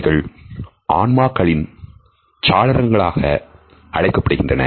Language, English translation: Tamil, They have been termed as a windows to our souls